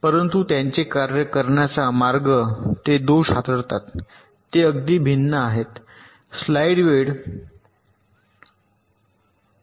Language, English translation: Marathi, but the way they work, they handle the faults, are distinctly different